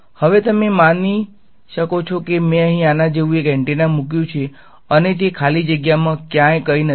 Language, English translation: Gujarati, Now, you might ask supposing I put an antenna like this over here, and it is in free space absolutely nothing anywhere